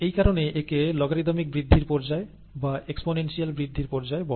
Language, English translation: Bengali, And that is the reason why it is called logarithmic growth phase or the exponential growth phase